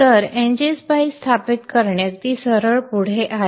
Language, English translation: Marathi, So installing NG spice is pretty straightforward